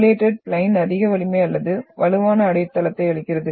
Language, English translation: Tamil, Foliated plains give more strength or stronger foundation